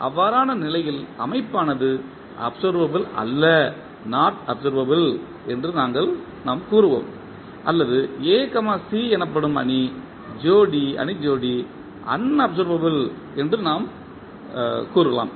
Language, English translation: Tamil, In that case, we will say that the system is not observable or we can say that the matrix pair that is A, C is unobservable